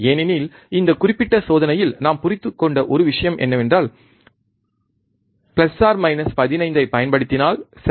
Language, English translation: Tamil, Because one thing that we understood in this particular experiment is that if we apply plus minus 15, right